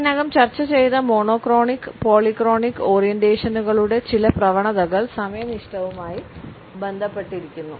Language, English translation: Malayalam, Certain tendencies of monochronic and polychronic orientations which we have already discussed are related with punctuality